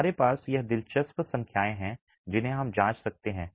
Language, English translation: Hindi, We have this interesting numbers that we can examine